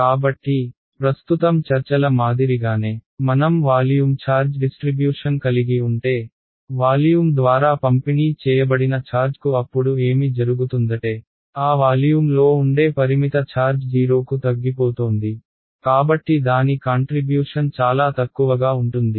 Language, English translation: Telugu, Exactly; so, just like in the case of the current discussion if I had a volume charge distribution a charge that is distributed through the volume then what will happen is the finite charge residing in a volume that is shrinking to 0; so its contribution will be negligible